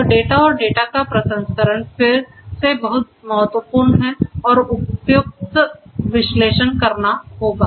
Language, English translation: Hindi, So, data and the processing of the data again is very important and suitable analytics will have to be performed